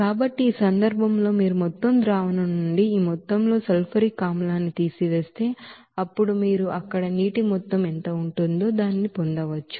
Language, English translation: Telugu, So in that case, if you subtract this amount of sulfuric acid from the total solution then you can get this what will be the amount of water there